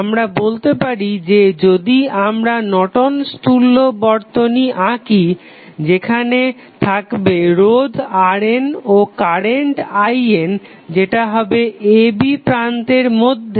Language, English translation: Bengali, We can say that the Norton's equivalent circuit if you draw Norton's equivalent circuit here the resistance R N, current I N that is between a, b